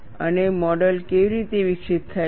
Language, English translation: Gujarati, And how the model is developed